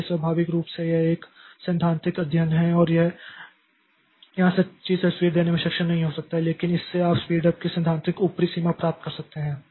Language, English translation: Hindi, So, naturally this is a theoretical study and this may not be able to give a true picture there, but this gives the theoretical upper limit on the degree of speed up that you can achieve